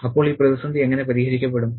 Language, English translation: Malayalam, So, how is this crisis resolved